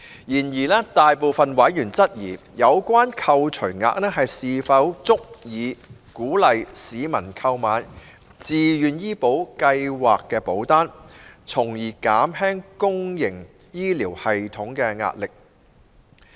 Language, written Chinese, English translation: Cantonese, 然而，大部分委員質疑，有關扣除額是否足以鼓勵市民購買自願醫保計劃保單，從而減輕公營醫療體系的壓力。, Nevertheless the majority of members cast doubt as to whether the deduction could provide adequate incentive to encourage people to take up VHIS policies so as to alleviate the pressure on the public health care system